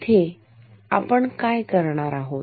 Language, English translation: Marathi, What do we do there